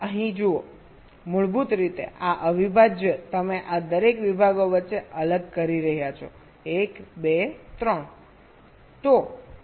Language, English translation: Gujarati, basically, this integral you are separating out between these, each of these segments, one, two, three